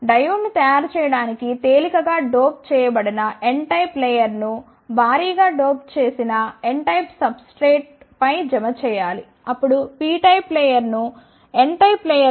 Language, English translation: Telugu, To make the diode the lightly doped n type of layer should be deposited on heavily doped, n type of substrate then the p type of layer should be deposited on the n type of layer